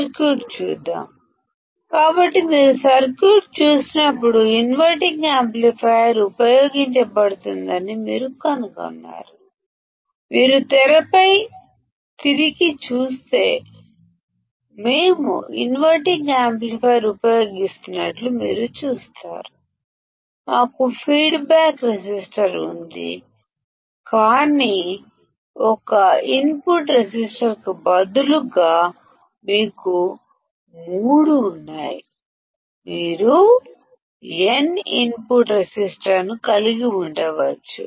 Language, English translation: Telugu, Let us see the circuit; so, when you see the circuit; what do you find is that an inverting amplifier is used; if you come back on the screen, you will see that we are using a inverting amplifier, we have a feedback resistor, but instead of one input resistor; you have three; you can have n input resistors